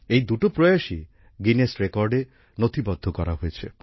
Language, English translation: Bengali, Both these efforts have also been recorded in the Guinness Records